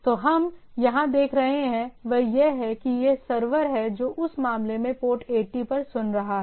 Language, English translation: Hindi, So, what we see here that it is it is the server which is listening at port 80 in this case